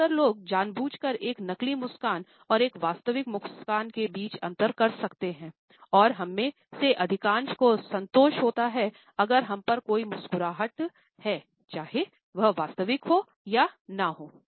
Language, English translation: Hindi, Most people can consciously differentiate between a fake smile and a real one, and most of us are content to someone is simply smiling at us, regardless of whether its real or false